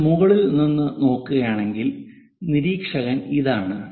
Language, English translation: Malayalam, If we are looking from top, observer is this